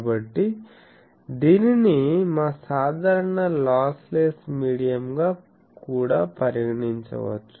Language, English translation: Telugu, So, it is can be considered as our usual lossless medium also